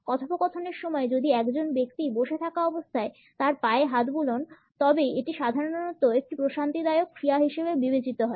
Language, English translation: Bengali, During the dialogue if a person is a stroking his leg while sitting, it normally is considered to be a pacifying action